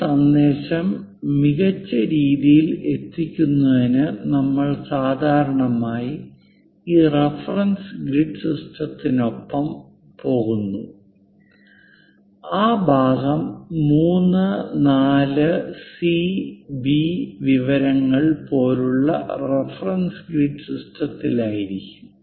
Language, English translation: Malayalam, To better convey this message we usually go with this reference grid system the part will be in that reference grid system like 3, 4 and C and B information